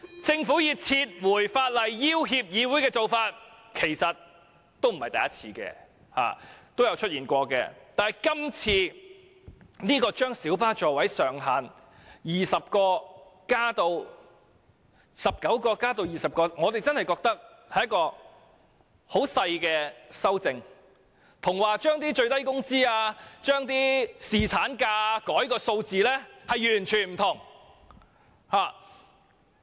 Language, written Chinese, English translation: Cantonese, 政府以撤回法案要脅議會的做法不是沒有先例的，以往亦曾經出現，只不過這次將小巴的座位上限由19個增至20個，我們認為只是很小的修正案，與最低工資或侍產假所牽涉的數字完全不同。, There are actually precedents that the Government had threatened the Legislative Council to withdraw a bill . However in the present case the CSA in question only seeks to increase the maximum seating capacity of light buses from 19 to 20 which in my view is a minor change . That is totally different from the figures involved in the bills concerning minimum wage level and paternity leave in the past